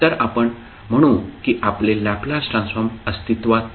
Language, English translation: Marathi, So, you will say that your Laplace transform will not exist